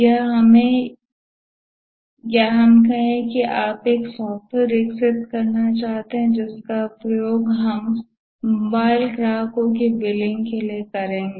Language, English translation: Hindi, Or let's say you want to develop a software which will be used by, let's say, billing mobile customers